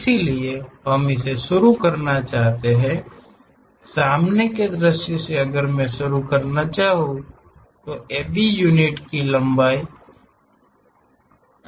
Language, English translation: Hindi, So, we would like to begin this one, from the front view if I would like to begin, then there is a length of A B units